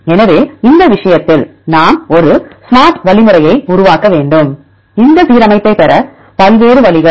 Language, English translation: Tamil, So, in this case, we need to develop a smart algorithm; different ways to get this alignment